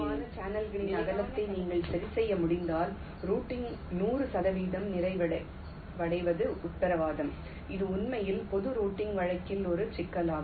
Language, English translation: Tamil, and if you can adjust the width of the channels, which in standard cell is possible, then hundred percent completion of routing is guaranteed, which is indeed a problem in general routing case, say